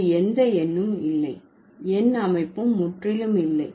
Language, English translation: Tamil, There is absolutely no number system, right